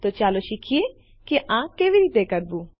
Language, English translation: Gujarati, So lets learn how to do all of this